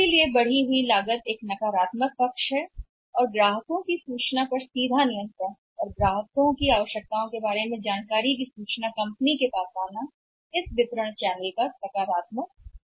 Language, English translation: Hindi, So, increased cost is the negative part and direct control upon the information and the requirements of the customers as a director information from the customer comes to the company just a positive part of the channels of distribution